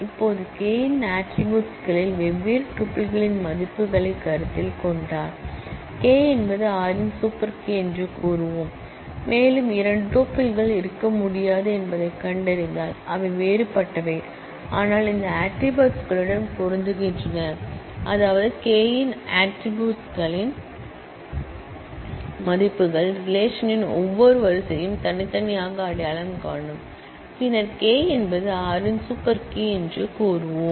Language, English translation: Tamil, Now, we will say that K is a super key of R, if we consider the values of different tuples in the attributes of K and we find that there cannot be two tuples, which are different, but match on these attributes, which mean that the values of the attributes of K, uniquely identify each row of the relation, then we will say that K is a super key of R